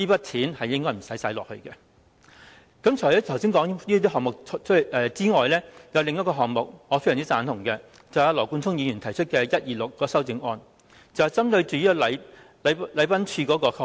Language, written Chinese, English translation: Cantonese, 除了剛才提到的項目外，有另一個項目，我是非常贊同的，便是羅冠聰議員提出的編號126修正案，這項修正案針對禮賓處的開支。, Apart from this amendment I very much approve of another amendment namely Amendment No . 126 proposed by Mr Nathan LAW . This amendment pinpoints the expenses of the Protocol Division